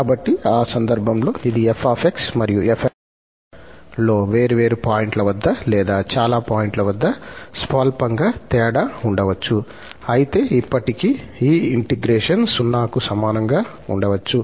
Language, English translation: Telugu, So, in that case, though this f and fn, they may differ marginally at different points or at finitely many points but still this integration may be equal to 0